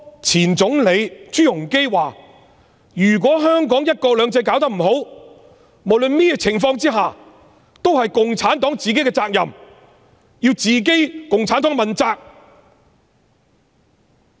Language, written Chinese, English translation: Cantonese, 前總理朱鎔基說如果香港的"一國兩制"搞不好，無論甚麼情況下也是共產黨自己的責任，要共產黨自己問責。, Former Premier ZHU Rongji said that if one country two systems is not properly implemented in Hong Kong CPC would have to be held responsible and accountable in all circumstances